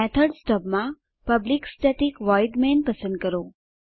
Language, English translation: Gujarati, In the method stubs select public static void main